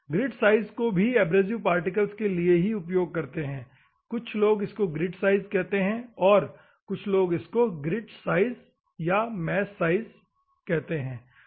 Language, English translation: Hindi, Grit also refers to the abrasive particle, some of the people they say the grit so, the grit size specifies the mesh size, ok